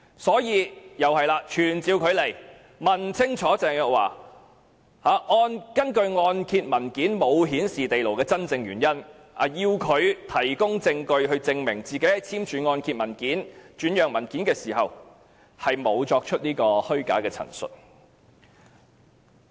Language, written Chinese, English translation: Cantonese, 因此，我們必須傳召她來立法會，問清楚她按揭文件沒有顯示該物業有地庫的真正原因，並要求她提供證據，證明她在簽署按揭文件和轉讓文件時沒有作出虛假陳述。, We must therefore summon her to this Council question her thoroughly about the true reason why the mortgage document does not show that the property has a basement and demand that she adduce evidence to prove that she did not make false statements when signing the mortgage and assignment documents